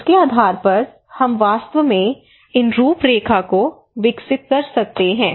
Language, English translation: Hindi, So based on that we can actually develop these framework